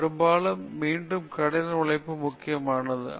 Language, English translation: Tamil, Oft repeated hard work is the key